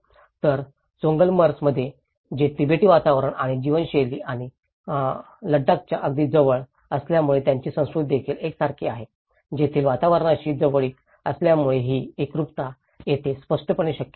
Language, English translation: Marathi, Whereas, in Choglamsar because it is very close to the Tibetan environment and the way of lifestyle and the Ladakhis also they have a similar culture, in that way assimilation was clearly possible here because of its close proximity to its environment